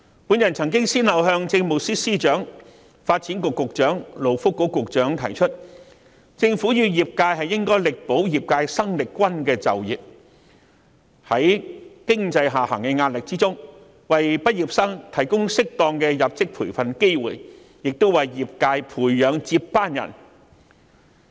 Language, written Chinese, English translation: Cantonese, 我曾先後向政務司司長、發展局局長和勞工及福利局局長提出，政府與業界應力保業界生力軍的就業機會，同時在經濟下行的壓力下，為畢業生提供適當的入職培訓，從而為業界培養接班人。, I have proposed to the Chief Secretary for Administration Secretary for Development and Secretary for Labour and Welfare respectively that the Government and the sector should endeavour to safeguard the employment opportunities of new entrants . In the meantime graduates should be provided with appropriate induction training despite the pressure of an economic downturn with a view to nurturing successors for the sector